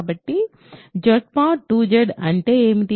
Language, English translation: Telugu, So, what is Z mod 2 Z